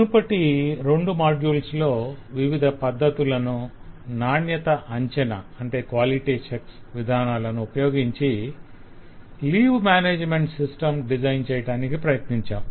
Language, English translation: Telugu, for the last two modules, we have been trying to apply different techniques and assessment to explore the design of leave management system